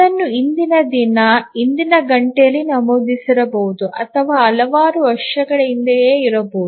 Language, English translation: Kannada, It could have been entered the previous day, previous hour or may be several years back